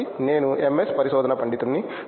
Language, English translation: Telugu, So, I am an MS research scholar